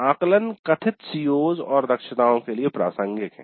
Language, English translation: Hindi, Then assessments were relevant to the stated COs and competencies